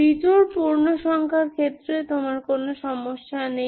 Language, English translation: Bengali, That means you don't have problem when it is odd integer